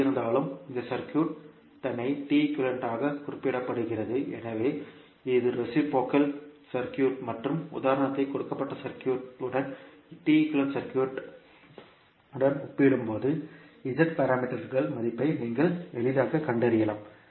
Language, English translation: Tamil, Anyway, this circuit itself is represented as T equivalent, so this is reciprocal circuit and when we compare with the T equivalent circuit with the circuit given in the example you can easily find out the value of the Z parameters